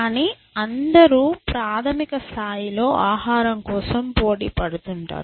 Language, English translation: Telugu, But everybody is competing for food essentially